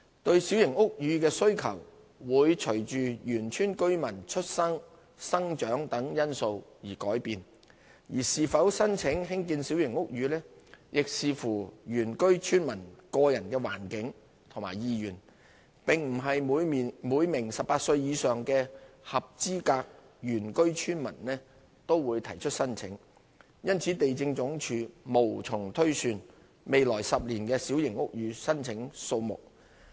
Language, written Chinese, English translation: Cantonese, 對小型屋宇的需求會隨原居村民出生、成長等因素而改變，而是否申請興建小型屋宇亦視乎原居村民的個人環境和意願，並不是每名18歲以上的合資格原居村民都會提出申請，因此地政總署無從推算未來10年的小型屋宇申請數目。, The demand for small houses may change with factors such as birth and growth of indigenous villagers . Whether or not an indigenous villager would apply for a small house grant is dependent on his own circumstances and wishes and not all eligible indigenous villagers aged 18 years or above will submit an application . It is thus impossible for the Lands Department LandsD to project the number of small house applications in the next 10 years